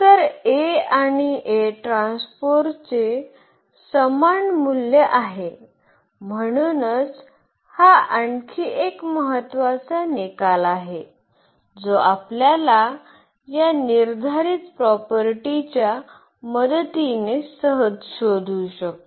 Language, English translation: Marathi, So, A and A transpose have same eigenvalue, so that is another important result which easily we can find out with the help of this determinant property